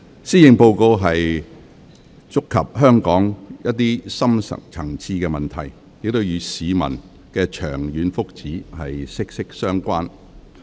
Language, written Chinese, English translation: Cantonese, 施政報告觸及香港一些深層次問題，與市民的長遠福祉息息相關。, The Policy Address touches upon some deep - rooted problems of Hong Kong which are closely related to the long - term benefits of the public